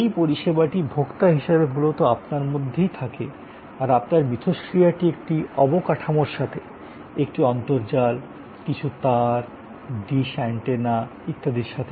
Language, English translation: Bengali, If this is basically between you as a service consumer at the, your interaction is with an infrastructure, it is a network, series of cables, dishes, antennas and so on